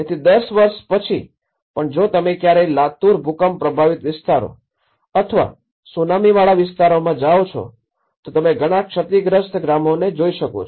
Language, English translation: Gujarati, So, even after 10 years if you ever go to Latur earthquake affected areas or even in Tsunami, there are many villages we can see these damaged villages lying like that